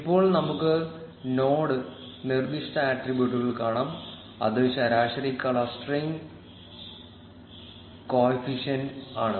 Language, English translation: Malayalam, Now let us also look at the node specific attributes which is the average clustering coefficient